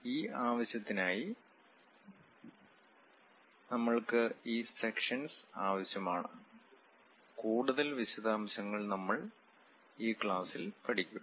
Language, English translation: Malayalam, For that purpose, we require these sections; more details we will learn during the class